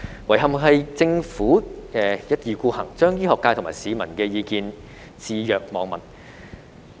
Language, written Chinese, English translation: Cantonese, 遺憾的是政府一意孤行，將醫學界和市民的意見置若罔聞。, Regrettably the Government remained adamant and turned a deaf ear to the views of the medical sector and the public